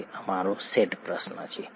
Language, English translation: Gujarati, That’s our set question